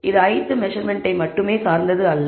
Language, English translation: Tamil, It is not dependent only on the i th measurement